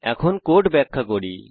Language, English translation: Bengali, Lets execute the code